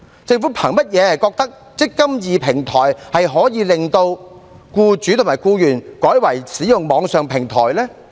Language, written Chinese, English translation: Cantonese, 政府憑甚麼認為"積金易"平台，可以令僱主和僱員改為使用網上平台呢？, On what basis does the Government think that eMPF platform can make employers and employees switch to the online platform?